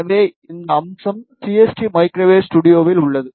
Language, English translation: Tamil, So, this feature is in CST microwave studio